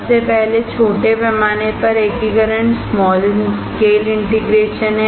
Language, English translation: Hindi, There is small scale integration